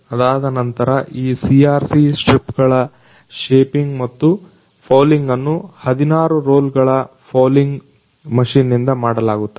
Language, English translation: Kannada, After that, shaping and folding of these CRC strips are done through the 16 rolls of roll fouling machine